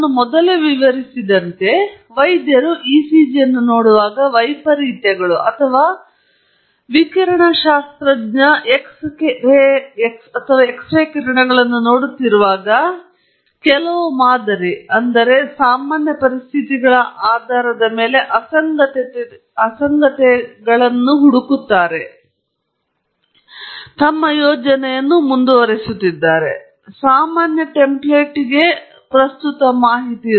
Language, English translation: Kannada, As I explained earlier, a doctor, when the doctor looks at the ECG, is looking for anomalies or when a radiologist is looking at the x ray, looking for anomalies based on some model or some template of normal conditions in mind, keeps projecting the present data on to the normal template